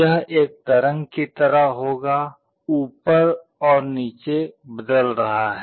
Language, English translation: Hindi, It will be like a waveform, changing up and down